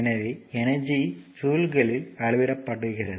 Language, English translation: Tamil, So, energy is measured in joules